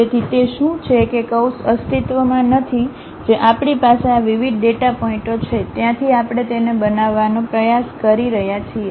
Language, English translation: Gujarati, So, what is that curve does not exist what we have these discrete data points, from there we are trying to construct it